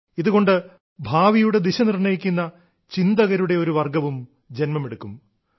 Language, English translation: Malayalam, This will also prepare a category of thought leaders that will decide the course of the future